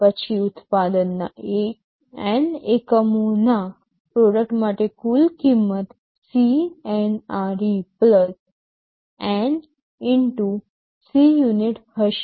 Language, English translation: Gujarati, Then for manufacturing N units of the product the total cost will be CNRE + N * Cunit